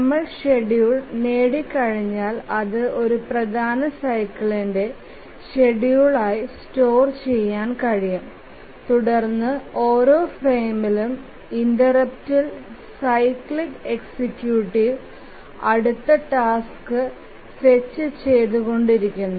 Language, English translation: Malayalam, And once we derive the schedule, it can be stored as the schedule for one major cycle and then the cyclic executive will keep on fetching the next task on each frame interrupt